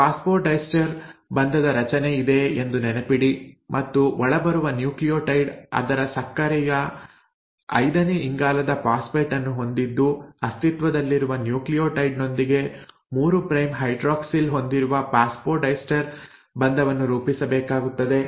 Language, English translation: Kannada, Remember there is a formation of phosphodiester bond and this happens because the incoming nucleotide, which is, has a phosphate at its fifth carbon of the sugar has to form a phosphodiester bond with an existing nucleotide having a 3 prime hydroxyl